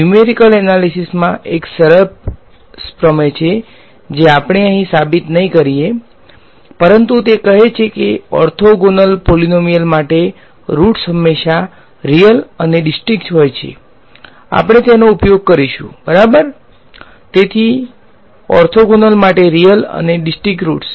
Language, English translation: Gujarati, There is a nice theorem from numerical analysis which we will not prove over here, but it says that for orthogonal polynomials the roots are always real and distinct, we will just use it ok; so, for orthogonal real and distinct roots alright ok